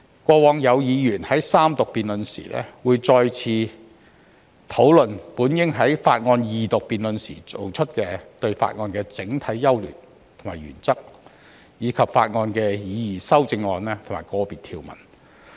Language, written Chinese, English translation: Cantonese, 過往有議員在三讀階段再次討論本應在法案二讀辯論時提出的事項，包括法案的整體優劣和原則，以及法案的擬議修正案或個別條文。, In the past during the Third Reading debate some Members discussed again the general merits and principles of the bill or the proposed amendments to or individual provisions of the bill which should had been discussed at the Second Reading debate